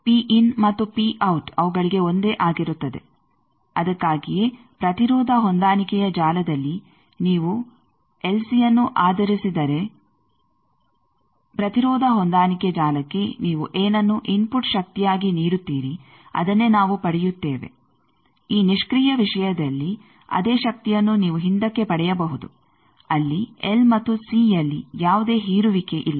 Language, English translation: Kannada, So, P in and P out are same for them that is why in the impedance matching network we get whatever you are giving as an input power to the impedance matching network if it is based on LC, this passive thing the same power you can take out there is no dissipation in the L and C